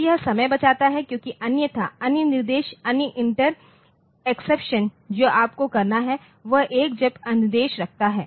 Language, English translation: Hindi, So, this saves time because otherwise other instructions so, other inter exceptions what you have to do is put a jump instruction